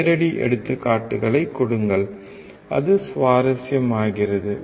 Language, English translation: Tamil, Give live examples, and it becomes interesting